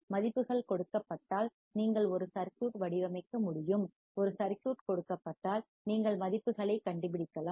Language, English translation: Tamil, Given the values, you can design a circuit; and given a circuit, you can find out the values